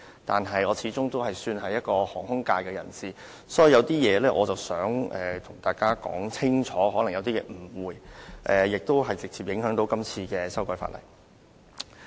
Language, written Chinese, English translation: Cantonese, 不過，我始終是屬於航空界的人士，所以有些誤會想跟大家解釋清楚，而這亦會直接影響這次法例修訂工作。, Nevertheless I am after all working in the aviation sector and would therefore like to clarify some misunderstandings which I think would have direct impacts on the current legislative exercise